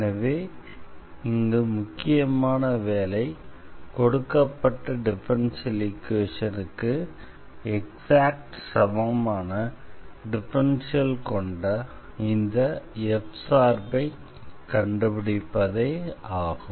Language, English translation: Tamil, So, one the main job is to find this function f whose differential is exactly this given differential equation